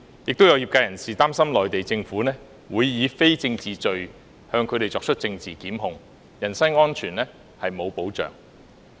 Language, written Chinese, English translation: Cantonese, 亦有業界人士擔心內地政府會以非政治罪向他們作出政治檢控，人身安全沒有保障。, Some members of the sector also worried that the Mainland Government would institute political prosecution against them with non - political charges . There would be no protection of personal safety